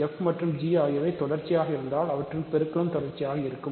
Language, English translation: Tamil, So, if f and g are continuous their product is continuous